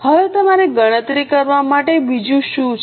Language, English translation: Gujarati, Now what else you are required to calculate